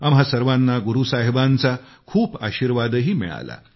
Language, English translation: Marathi, All of us were bestowed with ample blessings of Guru Sahib